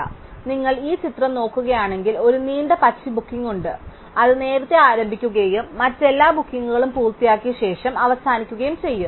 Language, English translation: Malayalam, So, if you look at this picture, there is one long green booking it start earliest and in fact ends after all the other bookings are made